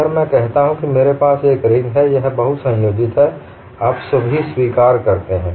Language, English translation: Hindi, Now, I say I have a ring, this is multiply connected; you all accept